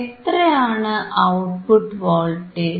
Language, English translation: Malayalam, wWhat is the output voltage